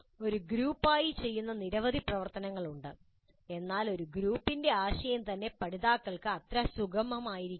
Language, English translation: Malayalam, There are several activities which are done as a group but the concept of a group itself may be not that comfortable for the learners